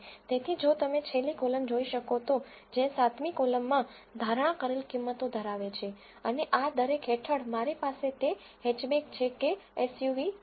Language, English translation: Gujarati, So, if you can see the last column which is the 7th column contains the predicted values and under each of these I have whether it is hatchback or SUV